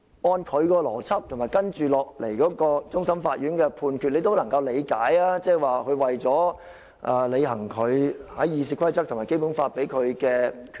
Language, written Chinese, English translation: Cantonese, 按照他的邏輯，以及接下來終審法院的判決，你也能夠理解這是為了履行《議事規則》和《基本法》賦予他的權力。, We learn from his logic and the subsequent judgment of the Court of Final Appeal that his action can be interpreted as an exercise of his power vested to him by the Rules of Procedure and the Basic Law